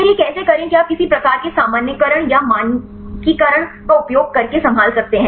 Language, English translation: Hindi, Then how to do this you can handle by using say some kind of normalization or the standardization